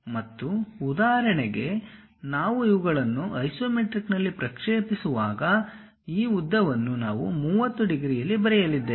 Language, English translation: Kannada, And when we are projecting these in the isometric; for example, this length we are going to project it at 30 degrees thing